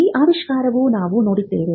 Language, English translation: Kannada, Again, we had seen this invention